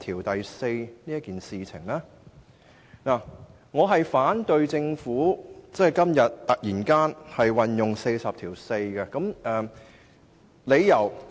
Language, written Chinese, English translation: Cantonese, 基於下述4個理由，我反對政府今天突然根據第404條動議議案。, I oppose the Governments abrupt proposal to move a motion under RoP 404 today based on the following four reasons